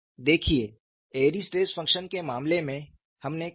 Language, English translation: Hindi, See in the case of Airy's stress function what we did